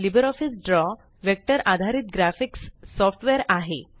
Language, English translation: Marathi, LibreOffice Draw is a vector based graphics software